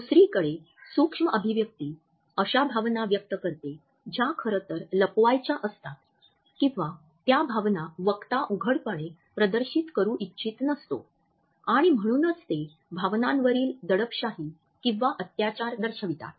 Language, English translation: Marathi, Micro expression on the other hand display an emotion which is rather concealed or an emotion which the speaker does not want to exhibit openly and therefore, they showcase repression or oppression of feelings